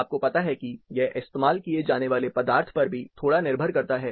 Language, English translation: Hindi, You know it also depends slightly on the material used